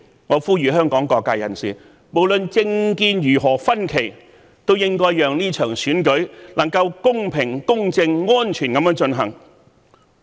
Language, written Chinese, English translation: Cantonese, 我呼籲香港各界人士，無論政見如何分歧，均應讓這場選舉公平、公正、安全地進行。, I call on people from all sectors in Hong Kong to make concerted efforts to enable the election to be held in a fair just and safe manner no matter how different their political views are